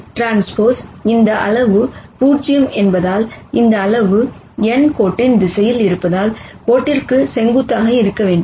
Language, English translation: Tamil, Since n transpose this quantity is 0, and this quantity is in the direction of the line n has to be perpendicular to the line